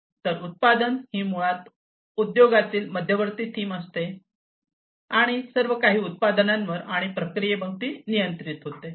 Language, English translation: Marathi, So, the product is basically the central theme in the industry, everything is governed around products and processes